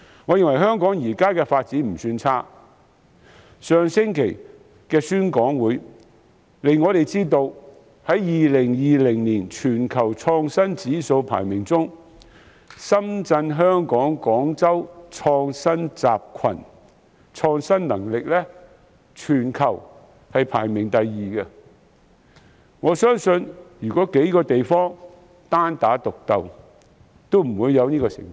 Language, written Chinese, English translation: Cantonese, 我認為香港現時的發展不算差，上星期的宣講會亦讓我們知道在2020年全球創新指數排名中，深圳—香港—廣州創新集群的創新能力在全球排名第二，相信如這數個地方單打獨鬥將不會有這好成績。, I think the current development of Hong Kong in this respect is not bad and at the talk held last week we also came to realize that according to the Global Innovation Index 2020 the innovation capacity of the Shenzhen―Hong Kong―Guangzhou innovation cluster ranked second in the world which would not have been possible had these three places made their separate and isolated efforts